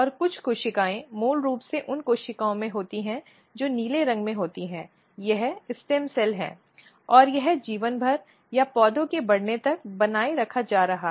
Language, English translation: Hindi, And, some cells basically the cells which is in blue in color this is basically stem cell, and this is being maintained throughout the life or till the plant is growing, and this is important